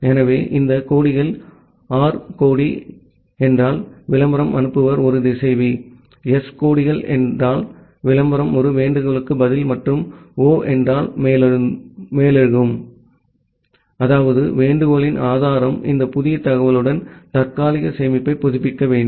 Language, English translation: Tamil, So, these flags are the R flag means the sender of the advertisement is a router, the S flags means the advertisement is a response to a solicitation and O means override; that means, the source of the solicitation it must update the cache, with this new information